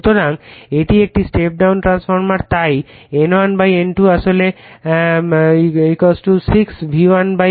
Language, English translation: Bengali, So, this is a step down transformer right so, N1 / N2 actually = 6 we call V1 / V2